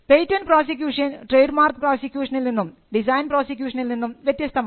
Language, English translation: Malayalam, Patent prosecution actually is different from a trademark prosecution or design right prosecution